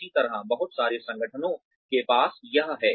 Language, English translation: Hindi, Similarly, a lot of organizations have this